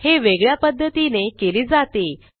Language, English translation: Marathi, It must be done by other methods